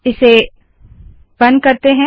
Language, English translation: Hindi, Lets cut this